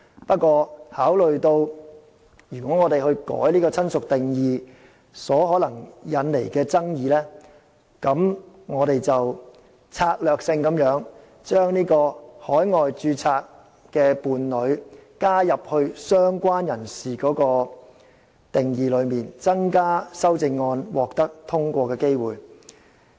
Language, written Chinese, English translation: Cantonese, 不過，考慮到修改"親屬"的定義可能引起爭議，我們策略性地把海外註冊的伴侶加入"相關人士"的定義之中，以增加修正案獲得通過的機會。, But having considered that changing the definition of relative may arouse controversies we have strategically included a partner in a relationship registered overseas in the definition of related person in order for the amendment to stand a higher chance of passage